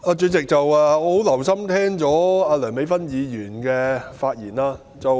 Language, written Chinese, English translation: Cantonese, 主席，我很留心聆聽梁美芬議員的發言。, President I have listened to the speech of Dr Priscilla LEUNG attentively